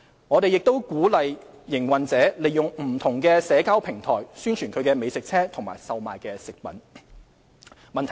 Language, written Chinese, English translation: Cantonese, 我們亦鼓勵營運者利用不同社交平台宣傳其美食車及售賣的食品。, We also encourage operators to utilize different social media platforms to advertise their food trucks and their food offerings